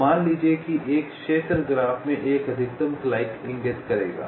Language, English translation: Hindi, ok, so a zone will indicate a maximal clique in the graph